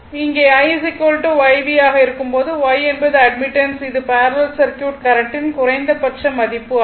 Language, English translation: Tamil, So, in this case and since I is equal to YV so, Y is that admittance the current has also minimum value for the parallel circuit right